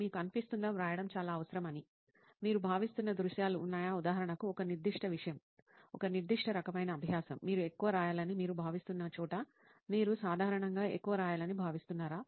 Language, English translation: Telugu, Do you feel, are there scenarios where you feel it is more necessary to write than, say for example, a certain subject, a certain kind of learning where you feel you need to write more, where you feel you generally write more